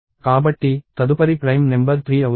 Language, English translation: Telugu, So, the next prime number is 3